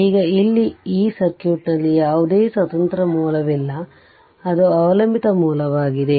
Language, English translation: Kannada, Now, here in this circuit, there is no independent source it is dependent source, there is no independent source